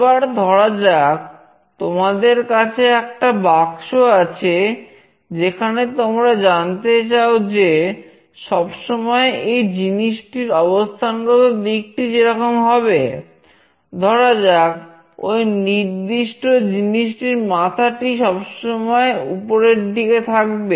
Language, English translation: Bengali, Let us say you have a small box in place where you wanted to see that the orientation of that particular thing should always be like … the head of that particular thing should be at the top